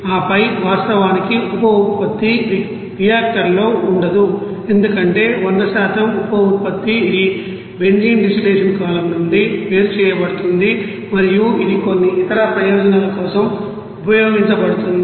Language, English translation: Telugu, And then byproduct of course, will not be there in the you know reactor because 100% you know byproduct it would be you know separating out from the benzene distillation column and it is used for some other purposes